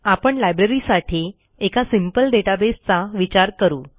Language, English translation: Marathi, Let us consider a simple database for a Library